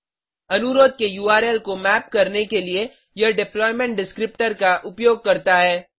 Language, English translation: Hindi, It uses deployment descriptor to map the URL of the request